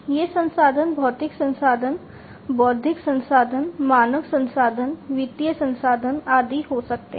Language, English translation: Hindi, These resources could be physical resources, intellectual resources, human resources, financial resources, and so on